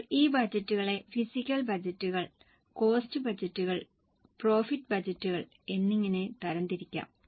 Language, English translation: Malayalam, Now these budgets can in turn be grouped as physical budgets, cost budgets and profit budgets